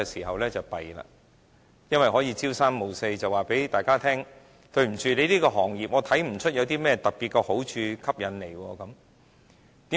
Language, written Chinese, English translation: Cantonese, 因為當局可以朝三暮四，告訴大家，對於某行業，它看不出有甚麼特別的好處和吸引力。, It is because without much respect for principle the Government may casually assert that certain other sectors are not particularly valuable and attractive